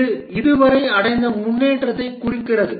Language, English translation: Tamil, This represent the progress achieved so far